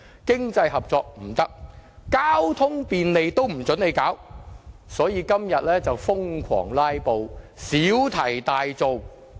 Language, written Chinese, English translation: Cantonese, 經濟合作不行，連令交通更便利也不准，所以反對派今天瘋狂"拉布"，小題大做。, Not only economic cooperation is forbidden but also cooperation to provide more convenient transportation . This is why the opposition camp has started frantic filibustering and made a mountain out of a molehill today